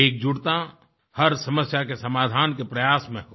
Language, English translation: Hindi, Solidarity should be the key to resolving every issue